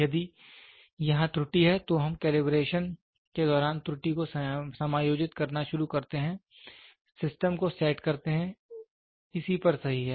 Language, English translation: Hindi, If there is error here, we start adjusting the error during the calibration, set the system, right on this